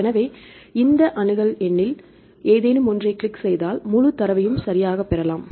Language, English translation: Tamil, So, then if we click any of this accession number we will get the full data right